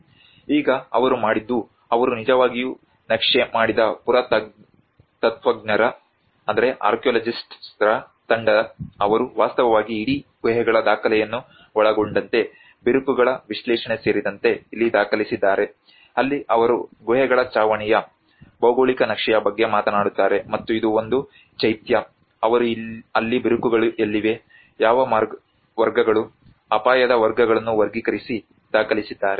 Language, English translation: Kannada, \ \ Now, what they did was the archaeologists team they have actually mapped down, they have actually documented the whole set of caves including the analysis of the cracks this is where they talk about a geological mapping of the ceiling of the caves and this is one of the Chaitya where they have documented where are the cracks coming into it, what are the categories, they have classified the categories of the risk